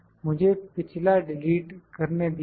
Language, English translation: Hindi, Let me delete the previous one